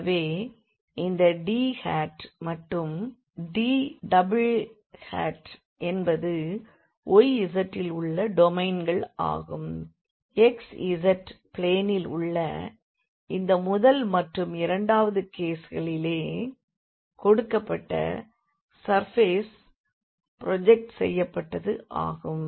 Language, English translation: Tamil, So, this D hat and D double hat are the domains in the y z; so, in this first case and then in the second case in xz planes in which the given surface is projected